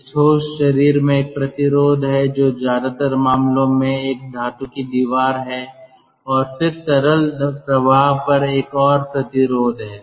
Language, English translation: Hindi, there is one resistance in this solid body which in most of the cases is a metallic wall, and then there is another resistant resistance on the liquid stream shell